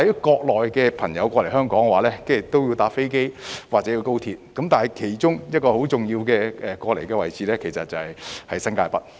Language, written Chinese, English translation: Cantonese, 國內的朋友來港會乘坐飛機或高速鐵路，但亦可經其中一個很重要的位置，就是新界北。, People from the Mainland may come to Hong Kong by flight or Express Rail Link but they may also enter via one of the very important locations that is New Territories North